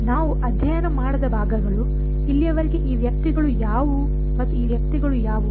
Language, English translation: Kannada, The parts which we have not studied, so far are what are these guys and what are these guys